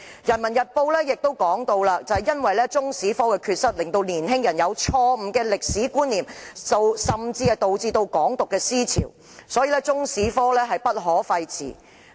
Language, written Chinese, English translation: Cantonese, 《人民日報》亦指出，中史科的缺失令年輕人有錯誤的歷史觀念，甚至導致"港獨"思潮，因此中史科不可廢弛。, The Peoples Daily has also noted that the deficiencies in Chinese history teaching has left young people with wrong historical concepts and has even given rise to the trend of Hong Kong independence . As a result Chinese history should never be abandoned